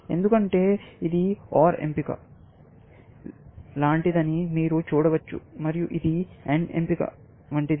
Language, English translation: Telugu, Because you can see that this like an OR choice, and this is like an AND choice